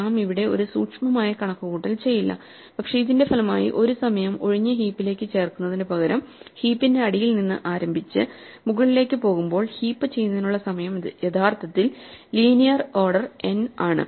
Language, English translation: Malayalam, We will not do a careful calculation here, but it turns out that as a result of this, in this particular way of doing the heapify by starting from the bottom of the heap and working upwards rather than inserting one at a time into an empty heap actually takes us only linear time order n